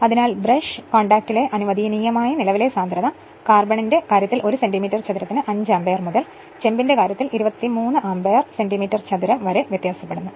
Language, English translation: Malayalam, So, the allowable current density at the brush contact varies from 5 ampere per centimetre square in case of carbon to 23 ampere per centimetre square in case of copper